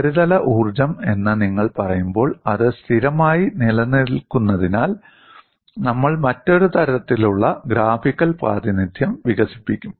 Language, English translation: Malayalam, When you say, the surface energy, you tend to have that as constant and we will develop another kind of a graphical representation